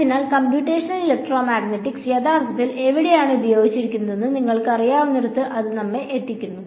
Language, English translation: Malayalam, So, that sort of brings us to where is computational electromagnetics actually used where we you know where is it useful